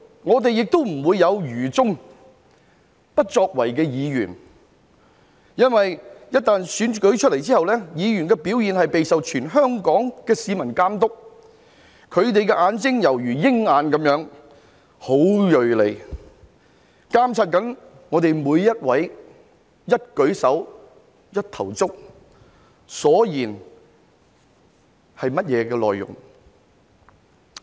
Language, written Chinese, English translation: Cantonese, 我們亦不會有愚忠、不作為的議員，因為被選出後，議員的表現將備受全香港市民監督，他們的眼睛猶如鷹眼，十分銳利，監察我們每一位的一舉手一投足，以及發言的內容。, There will not be Members motivated by blind loyalty but do nothing because after being elected Members will have their performance monitored by all the people of Hong Kong whose eyes are as sharp as eagles and they will monitor every move and speech made by each of us